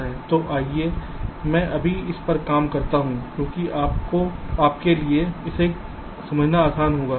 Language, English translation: Hindi, so, ah, lets i just work this out your, because it will be easier for you to understand